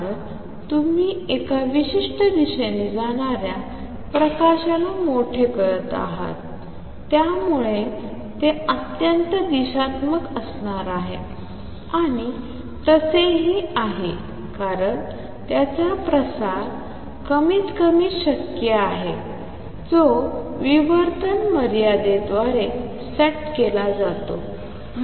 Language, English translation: Marathi, Why because you are amplifying the light going in one particular direction, so it is going to be highly directional and also it is so because its spread is minimum possible that is set by the diffraction limit